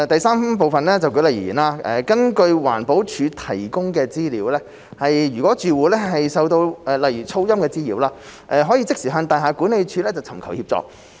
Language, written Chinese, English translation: Cantonese, 三舉例而言，根據環保署提供的資料，如住戶受到例如噪音滋擾，可即時向大廈管理處尋求協助。, 3 For example according to information provided by EPD a resident who feels annoyed by neighbourhood noise may seek assistance from their property management office